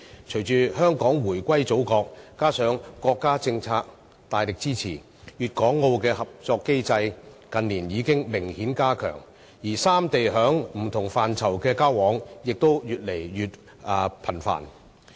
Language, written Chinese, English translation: Cantonese, 隨着香港回歸祖國，加上國家政策大力支持，粵港澳的合作機制，近年已明顯加強，而三地在不同範疇上的交往也越來越頻繁。, With Hong Kongs reunification to the Mainland and the States powerful policy the mechanism for Guangdong - Hong Kong - Macao has seen marked enhancement in recent years . Exchanges in various areas among the three places are getting increasingly common